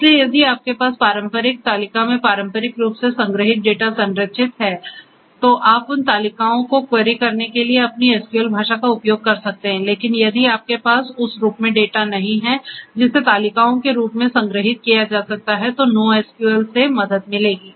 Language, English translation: Hindi, So, if you have structured data stored in relational table traditionally so, there you can use your SQL, SQL language for querying those tables, but if you do not have the data in the form that can be stored in the form of tables then this NoSQL will help